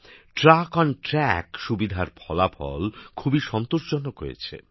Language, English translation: Bengali, The results of the TruckonTrack facility have been very satisfactory